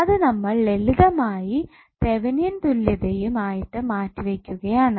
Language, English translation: Malayalam, We are just simply replacing it with the Thevenin equivalent